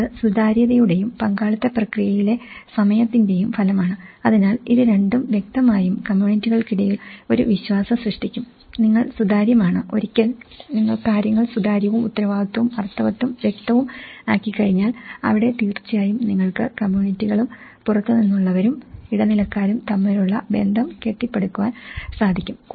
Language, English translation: Malayalam, The trust; it is a result of transparency and the time in the participatory process creating a sense of shared effort, goals and responsibility so, this 2 will obviously build a trust between the communities between once, you are transparent, once you make things transparent, accountable, meaningful, with clarity and that is where you will definitely build a relationship between communities and outsider and the intermediaries